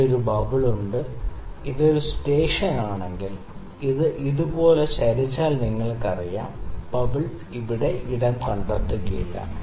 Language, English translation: Malayalam, And there is a bubble here, if it is a stationed you know if we tilts like this on this, the bubble wouldn’t find a space to stay here